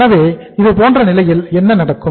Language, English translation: Tamil, So in that case what happens